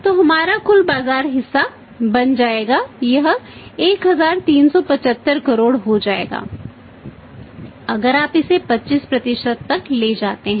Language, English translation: Hindi, So, our total market share will become if you should take it to 25%